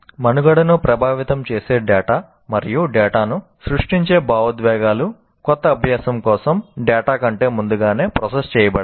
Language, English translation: Telugu, And data affecting the survival and data generating emotions are processed ahead of data for new learning